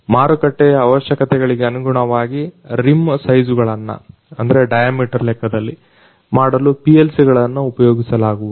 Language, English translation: Kannada, PLCs are used to make the rim size according to the market requirements